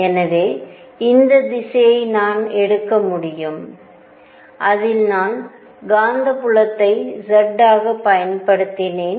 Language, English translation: Tamil, So, I can take this direction in which I have applied the magnetic field to be z